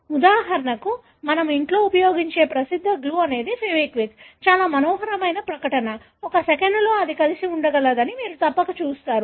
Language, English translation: Telugu, For example, well known glue that we use at home is the fevikwik, very fascinating advertisement; you must have seen that within a second that it is able to stick together